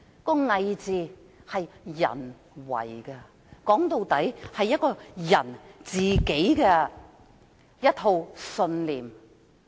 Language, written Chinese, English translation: Cantonese, "偽"字是人為的，說到底，是關乎個人信念。, Hypocrisy is a matter of personality . After all it is about someones personal belief